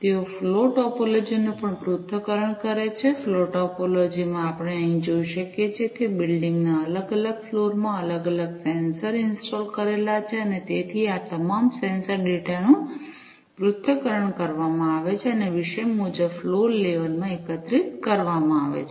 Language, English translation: Gujarati, They also analyze the flow topology, in the flow topology as we can see over here different sensors are installed in the different floors of the building and so, all these sensor data are analyzed and aggregated topic wise, in the floor level